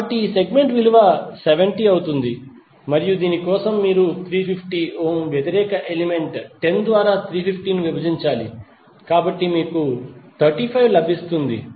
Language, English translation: Telugu, So this segment value would be 70 and for this again you have to simply divide 350 by opposite element that is 10 ohm, so you will get 35